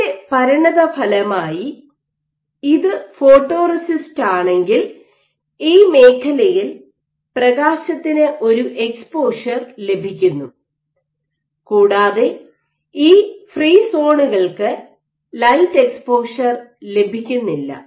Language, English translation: Malayalam, So, as a consequence, so, if this is your photoresist, in this zone is getting an exposed to the light and these free zones are not getting any light exposure